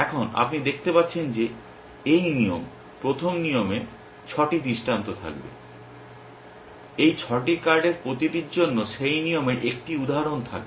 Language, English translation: Bengali, Now, you can see that this rule, the first rule will have 6 instances, for each of these 6 cards 1 instance of that rule will fire will match